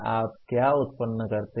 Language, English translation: Hindi, What do you generate